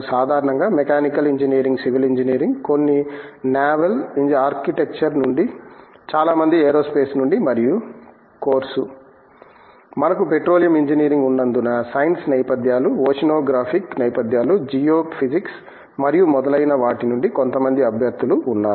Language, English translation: Telugu, Typically, mechanical engineering, civil engineering, some from naval architecture, many from aerospace and of course, because we have the Petroleum Engineering there are some candidates coming from science backgrounds, oceanographic backgrounds, geophysics and so on